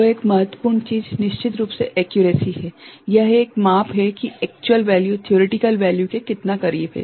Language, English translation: Hindi, So, important things are of course, accuracy right, it is a measure of how close is the actual value to the theoretical value